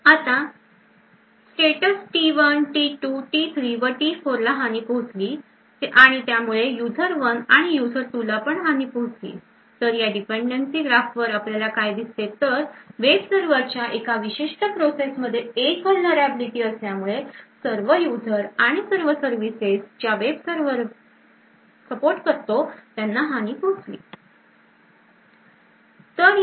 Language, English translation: Marathi, Now the states T1, T2, T3 and T4 are compromised and therefore the user 1 and user 2 are compromised, so what we see from this dependency graph is that a single vulnerability in a particular process in the web server can compromise all users and all services that that web server supports